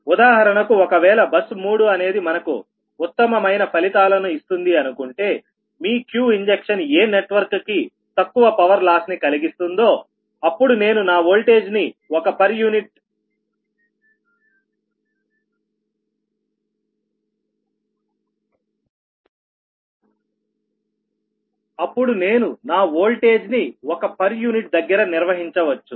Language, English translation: Telugu, for example, suppose bus three is giving my best, your q injection for which my power loss of the network is minimum and i can maintain this voltage at one per unit